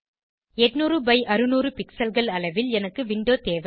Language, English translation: Tamil, I need a window of size 800 by 600 pixels